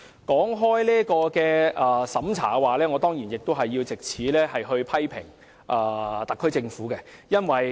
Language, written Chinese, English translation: Cantonese, 談到審查，我當然要藉此機會批評特區政府。, Speaking of screening I certainly have to take this opportunity to criticize the SAR Government